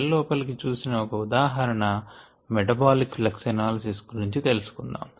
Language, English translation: Telugu, uh, it will looking inside the cell and that is called metabolic flux analysis